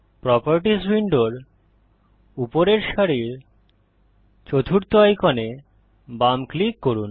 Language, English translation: Bengali, Left click the fourth icon at the top row of the Properties window